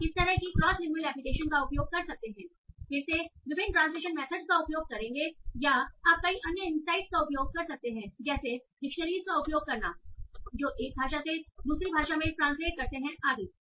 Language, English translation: Hindi, Again, they will use various translation methods or you can use many other insights like using dictionaries that translate from one language to another language and so